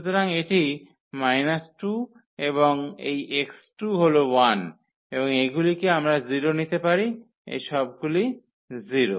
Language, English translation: Bengali, So, this is minus 2 and this x 2 is 1 and this we can take 0 all these 0s